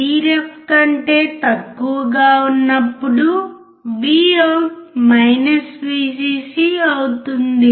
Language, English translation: Telugu, When VIN is less than Vref VOUT goes to VCC